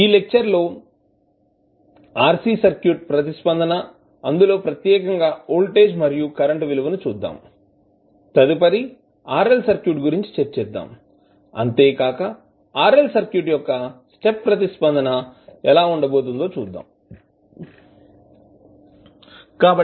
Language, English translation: Telugu, So, we will start our discussion from that point onwards and we will see the RC circuit response particularly the voltage and current value and then we will proceed for RL circuit and we will see what could be the step response for RL circuit